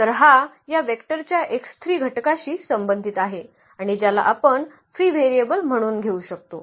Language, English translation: Marathi, So, that corresponds to this x 3 component of this vector and which we can take as the free variable